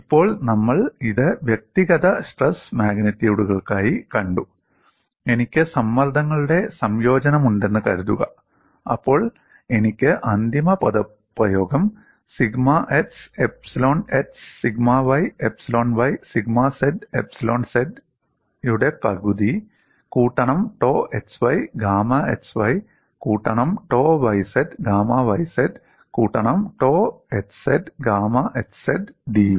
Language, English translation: Malayalam, Now, we have seen it for individual stress magnitudes, suppose I have combination of the stresses, then I can easily write the final expression as one half of sigma x epsilon x sigma y epsilon y sigma z epsilon z plus tau x y gamma x y plus tau y z gamma y z plus tau x z gamma x z d V